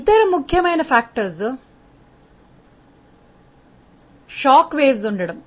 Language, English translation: Telugu, One of the other important factors is presence of shock waves